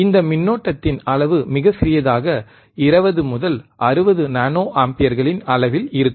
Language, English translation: Tamil, tThe magnitude of this current is very small, in order of 20 to 60 nano amperes